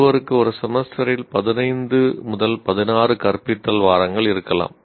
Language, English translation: Tamil, Let us take you, one may have 15 to 16 teaching weeks in a semester